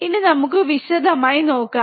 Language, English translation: Malayalam, Now let us see what is it